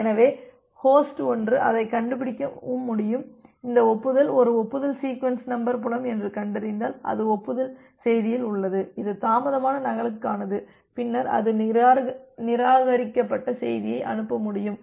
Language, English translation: Tamil, So, host 1 can find it out and if it finds out that this acknowledgement is a acknowledgement a sequence number field which is there in acknowledgement message it is for a delayed duplicate, then it can send a reject message